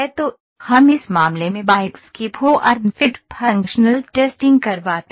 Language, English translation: Hindi, So, we get the form fit functional testing of bikes in this case